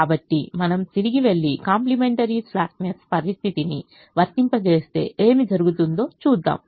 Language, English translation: Telugu, so let us go back and see what happens when we apply the complimentary slackness condition